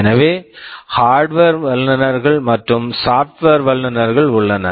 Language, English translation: Tamil, So, there are hardware experts, there are software experts